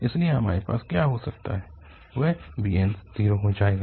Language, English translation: Hindi, Therefore, what we can have the bn's will be zero